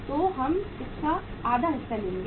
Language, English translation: Hindi, So we will take half of it